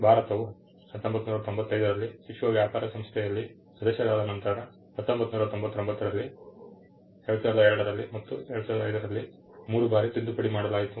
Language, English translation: Kannada, The 1970 act was after India became member of the world trade organization in 1995, the act amended three times, in 1999, in 2002 and in 2005